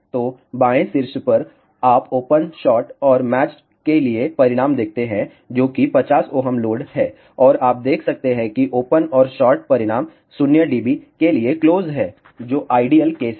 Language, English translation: Hindi, So, on the left top you see the results for open shot and match, which is 50 ohm load and you can see that the for open and short the results are closed to 0 dB which is the ideal case